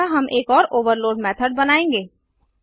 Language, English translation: Hindi, Let us now see how to overload method